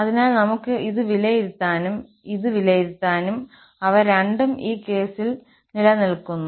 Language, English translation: Malayalam, So, we can evaluate this and we can evaluate this also, and both of them exist in this case